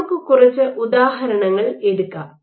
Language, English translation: Malayalam, Now, let us take a few examples